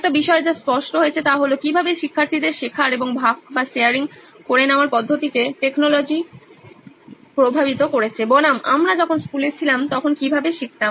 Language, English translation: Bengali, One thing that definitely came out is how technology has influenced the way students are learning and sharing versus how we used to learn when we were in school